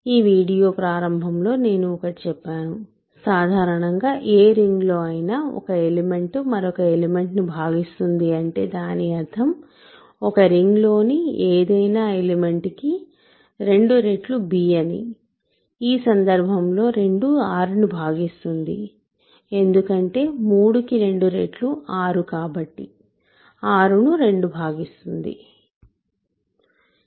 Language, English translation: Telugu, At the beginning of this video, I told you in general in any ring when an element divides another element I mean that 2 times some ring element is b right, 2 times a ring element is b